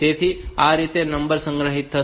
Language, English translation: Gujarati, So, this is how the number will be stored